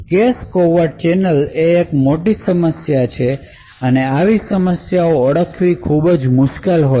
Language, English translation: Gujarati, Now cache covert channels are a big problem it is very difficult to actually identify such problems